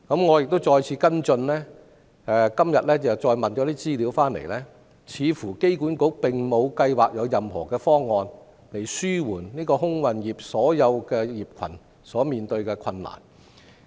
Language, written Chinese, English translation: Cantonese, 我一再跟進，今天得到的資料顯示，機管局似乎沒有計劃提出任何方案，紓緩整個空運業所面對的困難。, I keep following up on the issue and the information I get today shows that AA apparently has no plan to propose any proposal for relieving the difficulties faced by the entire aviation industry